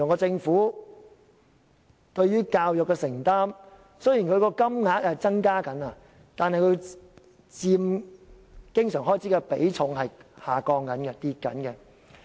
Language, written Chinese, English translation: Cantonese, 政府對於教育的承擔，雖然金額有所增加，但所佔經常開支的比重正在下降。, Concerning the Governments commitment to education although the actual amount has increased the share of education expenditure to total recurrent expenditure continues to decline